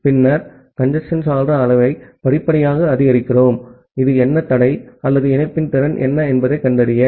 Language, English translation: Tamil, Then, we increase the congestion window size gradually to find out that what is the bottleneck or what is the capacity of the link